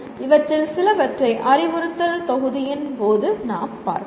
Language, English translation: Tamil, Some of them we will be looking at during the module on instruction